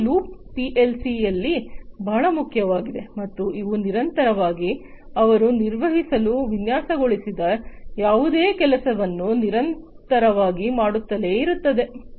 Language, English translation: Kannada, So, this loop is very important in PLC’s and they continuously, they keep on doing the stuff to continuously do whatever they are designed to perform